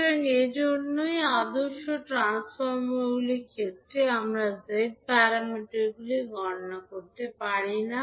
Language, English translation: Bengali, So, that is why in case of ideal transformers we cannot calculate the Z parameters